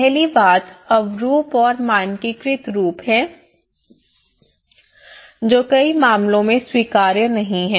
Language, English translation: Hindi, The first thing is the uniform and standardized forms which are not acceptable many cases